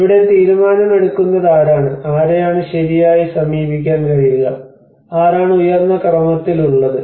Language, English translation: Malayalam, Who is the decision maker here whom can we approach right so there is become who is on the higher order